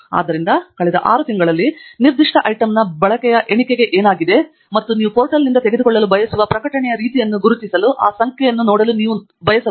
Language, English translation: Kannada, So you can look at what happens to the usage count of a particular item in the last six months and look at that number to guide you to identify the kind of publication that you want to pick up from the portal